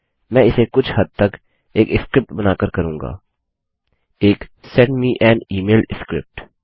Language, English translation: Hindi, I will do that partly by creating a script a Send me an email script